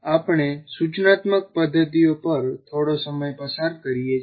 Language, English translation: Gujarati, Now we spend a little time on instructional methods